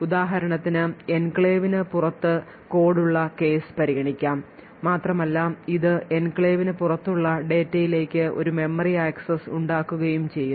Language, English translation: Malayalam, So, let us consider the case where we have code present outside the enclave, and it is making a memory access to data which is also present outside the enclave